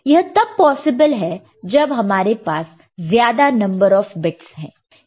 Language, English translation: Hindi, So, that is possible when we have more number of bits, more number of bits